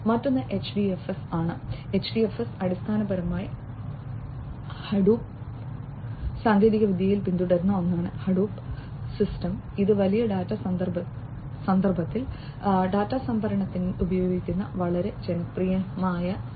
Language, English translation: Malayalam, Another one is HDFS, HDFS is basically something that is followed in the Hadoop technology, Hadoop system, which is quite popular for use with storage of data, in the big data context